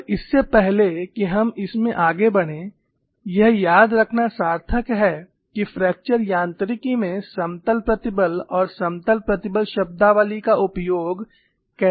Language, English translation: Hindi, And before we proceed into that, it is worthwhile to recall, how plane stress and plane strain terminologies are used in fracture mechanics